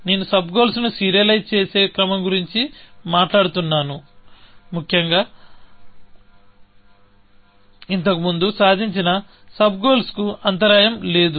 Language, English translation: Telugu, I am talking about an order of serializing sub goals; so that, there is no disruption of previously achieved sub goals, essentially